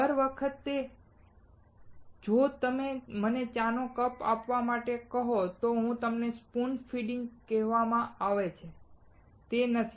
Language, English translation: Gujarati, Every time, if you ask to give me the cup of tea, it is called spoon feeding, isn't it